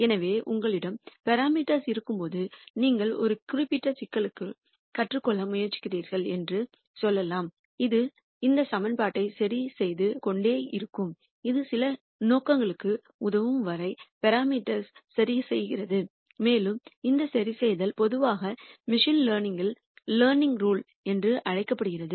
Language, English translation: Tamil, So, when you have parameters let us say that you are trying to learn for a particular problem this keeps adjusting this equation keeps adjusting the parameters till it serves some purpose and this adjustment is usually called the learning rule in machine learning